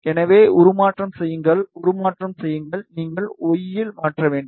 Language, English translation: Tamil, So, just transform, copy, transform, you need to transform in y